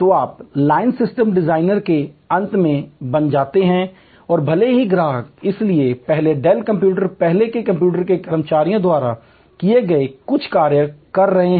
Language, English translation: Hindi, So, you become the end of line system designer and even though the customer therefore, is performing some of the functions earlier performed by employees of Dells computers, earlier computers